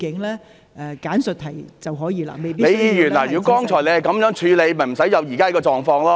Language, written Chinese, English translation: Cantonese, 李議員，如果剛才你是這樣處理，便不會出現現時這個狀況。, Ms LEE if you had dealt with it this way earlier the current situation would not have arisen